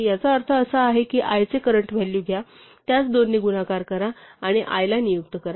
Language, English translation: Marathi, What is means is that take the current value of i, multiply it by two and assign it to i